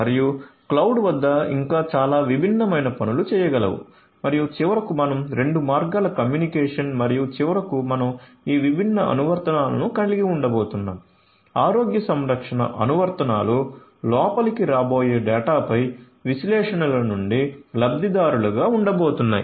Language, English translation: Telugu, And there is lot of other different things could also be done at the cloud and finally, we are going to have this is two way communication and finally, we are going to have this different applications, this different applications healthcare applications which are going to be the beneficiaries from all these analytics on the data that are coming in right